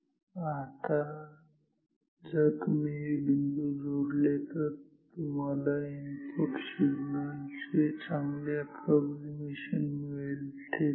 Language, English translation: Marathi, Now, if you join these points, you get a quite good approximation of the input signal ok